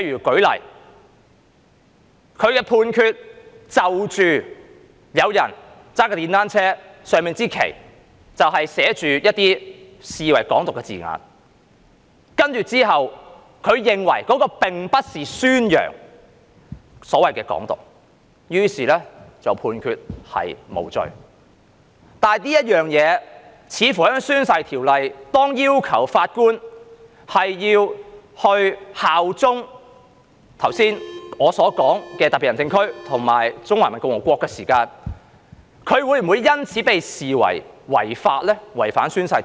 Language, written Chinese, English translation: Cantonese, 舉例說，有人駕駛電單車時在車上擺放了一支寫上被視為"港獨"字眼的旗幟，如果法官認為那並不是宣揚"港獨"，於是判決無罪時，就這一點，似乎在《條例》下，當要求法官效忠特別行政區及中華人民共和國時，他會否因此被視為違反《條例》呢？, For example a person who is driving a motor cycle has put on his motor cycle a flag with the words Hong Kong independence . If the judge does not consider it a promotion of Hong Kong independence and therefore acquits him insofar as this point is concerned and as it seems that under the Ordinance judges are required to pledge allegiance to SAR and PRC will the judge be considered to have violated the Ordinance? . We have yet to know the answer at this moment